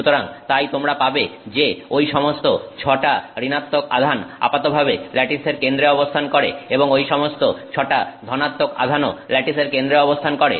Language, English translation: Bengali, So, therefore you would have all of the six negative charges on average sitting at the center of that lattice and all of the six positive charges also sitting at the center of the lattice